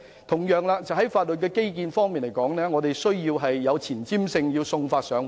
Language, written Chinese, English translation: Cantonese, 同樣地，在法律基建方面，我們需要有前瞻性，要送法上門。, Similarly in terms of legal infrastructure we have to be forward - looking and deliver our services to the doorstep of customers